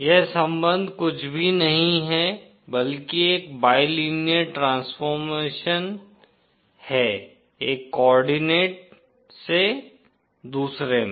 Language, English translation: Hindi, The relationship is nothing but a bilinear transformation from one coordinate to another